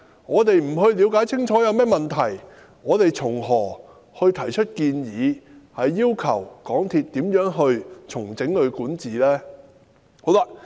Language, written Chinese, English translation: Cantonese, 我們不了解清楚有甚麼問題，又從何提出建議，要求港鐵公司重整管治？, When we do not understand the problems how can we suggest and request a restructuring of the governance of MTRCL?